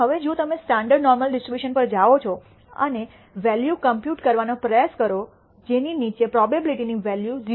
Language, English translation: Gujarati, Now if you go to the standard normal distribution and try to compute the value below which the probability is 0